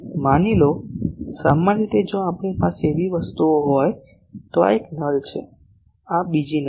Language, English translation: Gujarati, Suppose, generally if we have things like this, so, this is one null this is another null